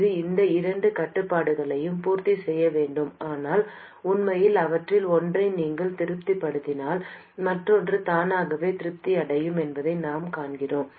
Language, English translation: Tamil, It should satisfy these two constraints, but actually we see that if you satisfy one of them, others will be automatically satisfied